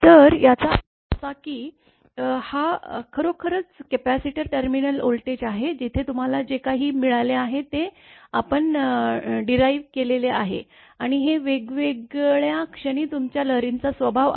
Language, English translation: Marathi, So; that means, that this is actually the capacitor terminal voltage where this whatever you have derived right and this is your, that your disposition of wave at various instant